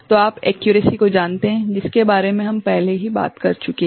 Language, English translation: Hindi, So, that is you know the accuracy that we have already talked about